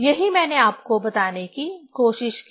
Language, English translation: Hindi, That is what I tried to tell you